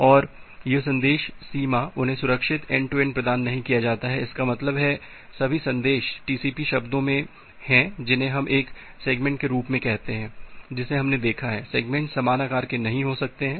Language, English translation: Hindi, And this message boundary they are not provided preserved end to end; that means, all the messages are in TCP terms we call it as a segment that we have looked into, the segments may not be of the same size